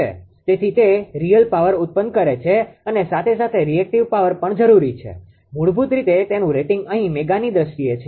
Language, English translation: Gujarati, So, if generates power real power as well as your reactive power is also require basically its rating is in terms of mega mem here